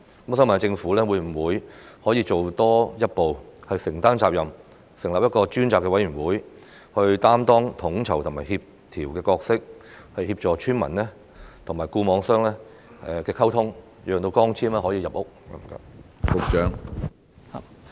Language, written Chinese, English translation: Cantonese, 我想問政府能否多行一步，承擔責任，成立一個專責委員會擔當統籌和協調的角色，協助村民和固網商溝通，讓光纖可以入屋？, I would like to ask the Government whether it can take an extra step to take up the responsibility of setting up a special committee which will play the role of an organizer or coordinator in facilitating communication between villagers and FNOs so that fibre - to - the - home can be made available to villagers